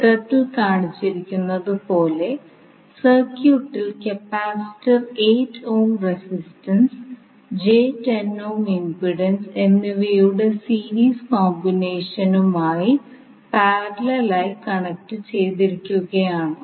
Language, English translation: Malayalam, Now you have the circuit as shown in the figure in which the capacitor is connected in parallel with the series combination of 8 ohm, and 8 ohm resistance, and j 10 ohm impedance